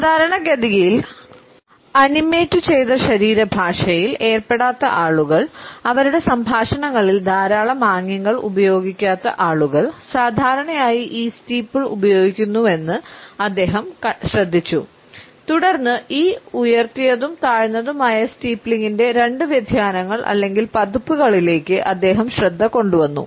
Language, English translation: Malayalam, He noticed that people who normally do not engage in animated body language that is people who do not use lot of gestures in their conversations normally use this steeple and then he alerted us to these two different variations or versions of raised and lowered steepling